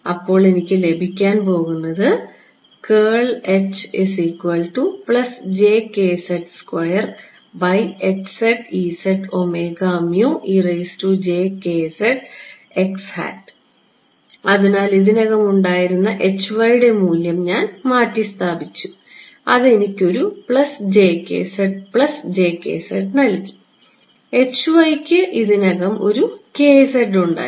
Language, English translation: Malayalam, So, I just substituted the value of h y that are already had, that gave me a plus j k z right and h y already had a k z